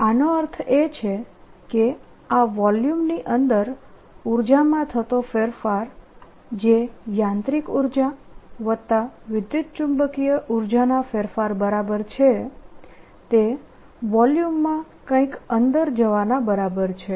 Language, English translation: Gujarati, this means that the change of the energy inside this volume, which is equal to the change in the mechanical energy plus the electromagnetic energy, is equal to something going into the volume